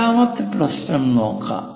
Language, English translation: Malayalam, Let us look at the second problem